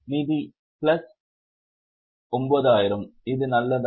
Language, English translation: Tamil, Financing is plus 9,000